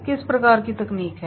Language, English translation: Hindi, What type of technology is there